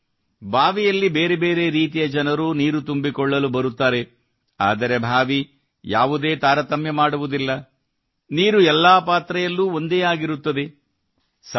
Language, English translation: Kannada, Which means There could be myriad kinds of people who come to the well to draw water…But the well does not differentiate anyone…water remains the same in all utensils